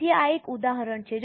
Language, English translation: Gujarati, So, this is an example